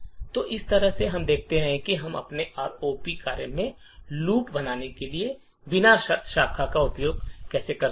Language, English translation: Hindi, So, in this way we show how we can use unconditional branching to create loops in our ROP programs